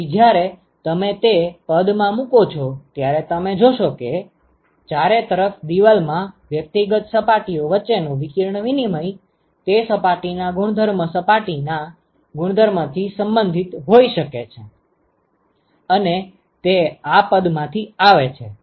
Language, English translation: Gujarati, So, when you put in all those expressions you will see that the radiation exchange between individual surfaces in the enclosure can be related to the properties surface properties of that surface and that comes from this expression